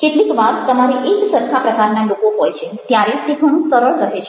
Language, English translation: Gujarati, sometimes you have similar kinds of people, then it is pretty easy